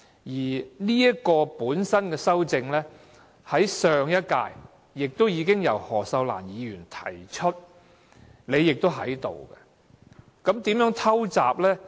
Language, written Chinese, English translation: Cantonese, 而有關的修正案，在上一屆已經由何秀蘭議員提出，當時的會議你亦在席。, And the amendments were proposed by Ms Cyd HO in the last Legislative Council in the meeting where you were also present